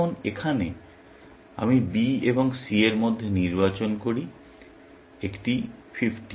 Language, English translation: Bengali, Now, here, I choose between B and C; one 50